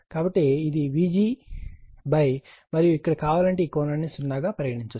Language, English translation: Telugu, So, it is vg upon your what you call and here if you want, you can put this one this angle 0